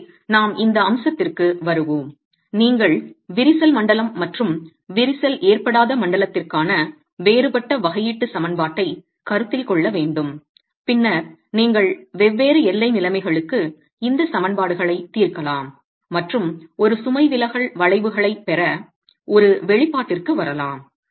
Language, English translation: Tamil, You will have to have, you will have to consider a different differential equation for the crack zone and the uncracked zone and then you could solve these equations for different boundary conditions and arrive at an expression to get your load deflection curves